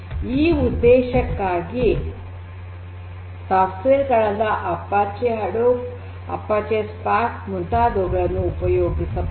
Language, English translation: Kannada, So, software such as Apache Hadoop, Apache Spark etc